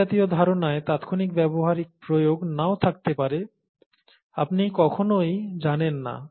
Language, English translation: Bengali, And such a view may not have an immediate practical application, you never know